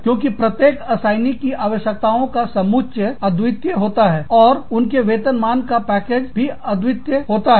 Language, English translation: Hindi, Because, every assignee has a unique set of needs, and a unique set of compensation package